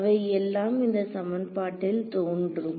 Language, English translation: Tamil, They all appear in this equation